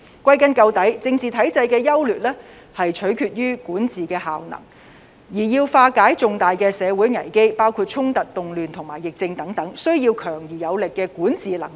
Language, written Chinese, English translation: Cantonese, 歸根究底，政治體制的優劣，是取決於管治效能；而要化解重大社會危機，包括衝突、動亂和疫症等，需要強而有力的管治能力。, In the final analysis the merits and otherwise of a political system depend on the effectiveness of governance . In order to resolve major social crisis including confrontations riots and pandemic the Government needs strong governance capabilities